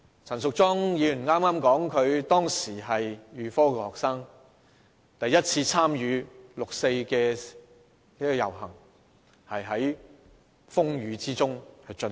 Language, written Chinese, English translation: Cantonese, 陳淑莊議員剛才發言時說她當時是預科學生，第一次參與的六四遊行是在風雨之中進行。, In her speech earlier Ms Tanya CHAN said that she was a matriculation student back then and it was during a rainstorm she took part in a 4 June rally for the first time